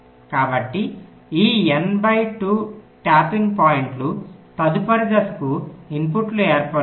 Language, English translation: Telugu, so these n by two tapping points will form the input to the next step